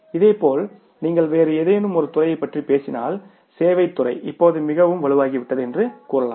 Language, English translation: Tamil, Similarly you talk about any in the services sector have become very very strong now